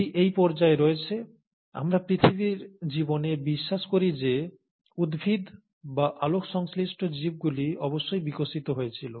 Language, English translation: Bengali, And it's at this stage, we believe in earth’s life that the plants or the photosynthetic organisms must have evolved